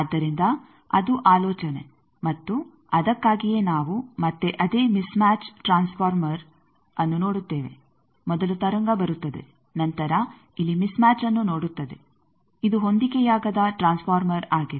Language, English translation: Kannada, So, that is the idea and that is why we see again that same mismatch transformer, there are the wave as comes then sees a mismatch here is a mismatch transformer